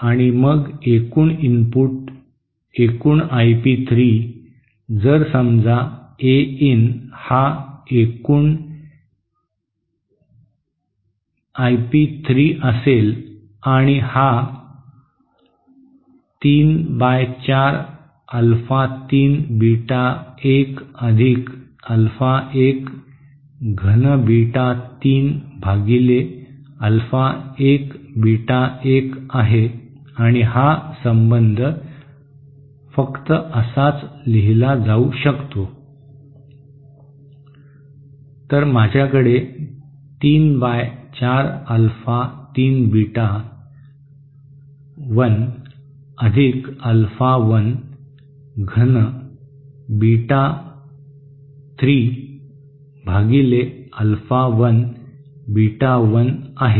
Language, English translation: Marathi, And then the total input in the you know the total I p 3, if suppose A in is the total I p 3, and this will be less or equal to 3 by 4 Alpha 3 Beta 1 + Alpha 1 cube Beta 3 upon Alpha 1 Beta 1